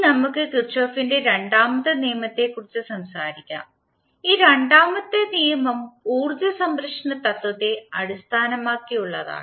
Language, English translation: Malayalam, Now, let us talk about the second law of Kirchhoff and this second law is based on principle of conservation of energy